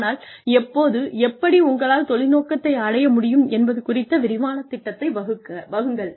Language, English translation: Tamil, But, make a detailed plan of, how and when, you will be able to, achieve your career objective